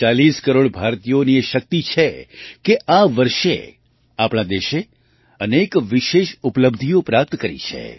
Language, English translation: Gujarati, It is on account of the strength of 140 crore Indians that this year, our country has attained many special achievements